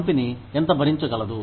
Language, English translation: Telugu, How much can the company afford